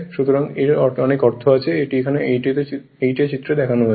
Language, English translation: Bengali, So, many meanings are there of this is a figure 8 a